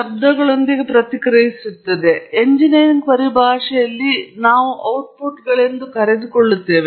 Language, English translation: Kannada, And then, the process responds, which we call as outputs in the engineering terminology